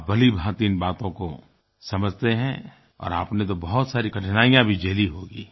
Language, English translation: Hindi, You understand everything and you must have faced a lot of difficulties too